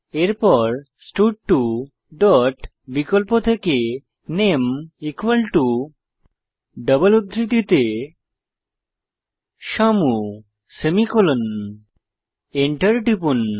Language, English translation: Bengali, Next line stud2 dot select name equal to within double quotes Shyamu semicolon press enter